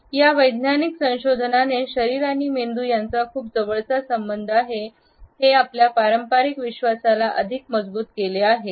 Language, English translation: Marathi, This scientific research has strengthened, the conventional understanding which always believed that there is a very close association between the body and the brain